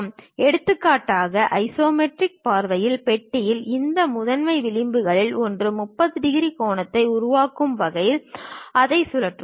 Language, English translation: Tamil, So, for example, in the isometric view the box; we will represent it in such a way that, it will be rotated in such a way that one of these principal edges makes 30 degree angle